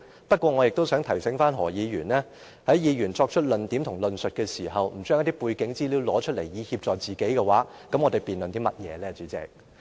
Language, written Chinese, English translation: Cantonese, 不過，我亦想提醒何議員，在議員作出論點和論述時，不將背景資料拿出來以協助自己，那麼我們又辯論甚麼呢，代理主席？, But I likewise want to give him one . What is the point of having a debate if Members are not allowed to aid themselves with some background information when making a point and advancing an argument Deputy President?